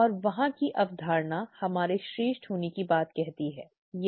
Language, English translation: Hindi, And there goes the concept of us being superior, right